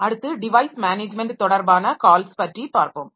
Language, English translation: Tamil, Next we will see the device management related call